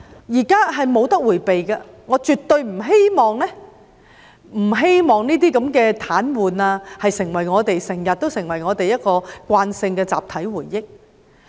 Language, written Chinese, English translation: Cantonese, 這是無法迴避的，我絕對不希望這些癱瘓事件成為我們的慣性集體回憶。, This is inevitable . I definitely do not want such transport paralyses to be routinely burned into our collective memory